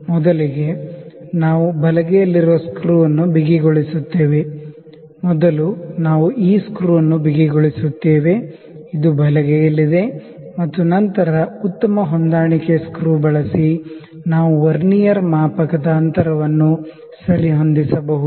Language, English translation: Kannada, First, we tight the screw which is on the right hand side; first we tight this screw this is on the right hand side and then using the fine adjustment screw, we can adjust the distance of the Vernier scale